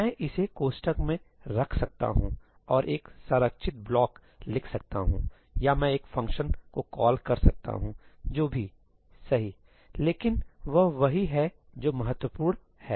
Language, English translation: Hindi, I can put this in brackets and write a structured block or I can call a function, whatever, right, but that is what is important